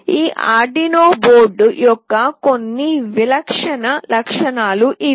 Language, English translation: Telugu, These are some typical features of this Arduino board